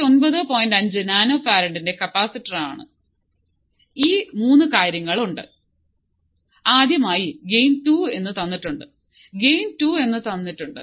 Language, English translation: Malayalam, 5 nano farad, alright these 3 things are there So, first is gain equals to 2